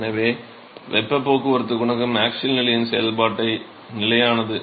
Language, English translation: Tamil, So, the heat transport coefficient is constant the product function of the axial position